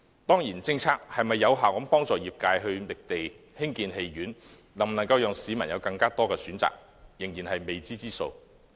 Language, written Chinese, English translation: Cantonese, 當然，政策能否有效幫助業界覓地興建戲院，為市民提供更多選擇，仍是未知之數。, Of course it remains uncertain as to whether the Government can effectively help the trade identify proper sites for building cinemas so as to offer the public more choices